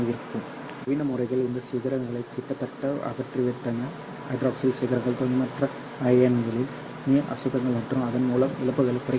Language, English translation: Tamil, In fact modern methods actually have almost eliminated this peaks hydroxyl peaks or the impurity ions water impurities and thereby lowering the losses